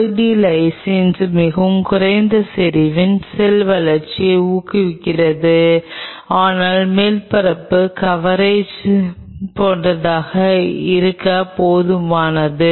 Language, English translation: Tamil, Poly D Lysine at a fairly low concentration does promote cell growth, but good enough to make an almost like the surface coverage should be full